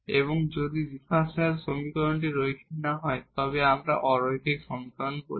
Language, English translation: Bengali, So, then we have the linear equation and if the differential equation is not linear then we call the non linear equation